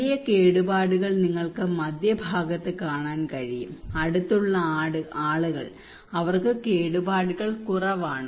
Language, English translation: Malayalam, A major damage you can see also in the middle and people who are close to and they have less damage